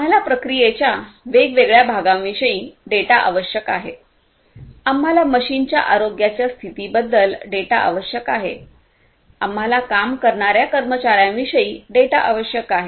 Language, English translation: Marathi, We need data about different parts of the process, we need data about the health condition of the machines, we need data about the workforce the employees that are working and so on